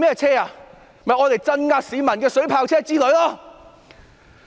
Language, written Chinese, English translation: Cantonese, 就是鎮壓市民的水炮車之類。, The likes of water cannon vehicles used for suppressing the people